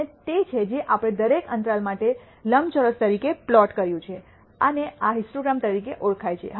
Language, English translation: Gujarati, And that is what we plotted as a rectangle for each interval and this is known as a histogram